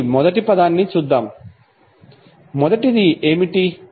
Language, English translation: Telugu, So let's see the first one, what is first one